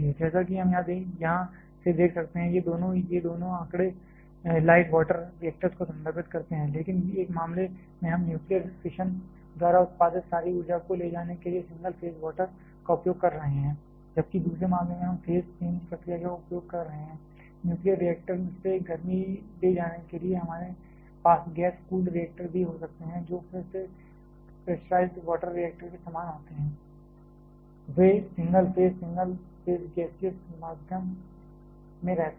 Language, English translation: Hindi, As we can see from here, these two both this two figures refers to light water reactors, but in one case we are using single phase water to carry all the heat produced by nuclear fission whereas, in the other case we are using the phase change process to carry the heat from the nuclear reactor, we can also have gas cooled reactors which again quite similar to the pressurized water reactor, they remain in single phase single phase gaseous medium